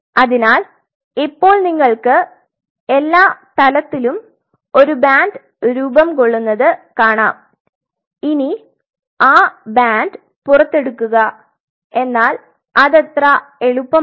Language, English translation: Malayalam, So, what we will be seeing is at every level, so you may see a band forming out here now how to pull out that band this is not easy